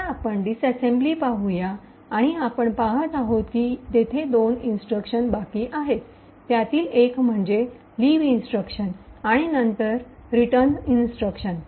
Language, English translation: Marathi, Now let us get back to the disassembly and what we see is that there are 2 instructions remaining one is the leave instruction and then the return instruction